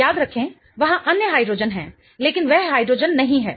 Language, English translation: Hindi, Remember there are other hydrogens but that is not the hydrogen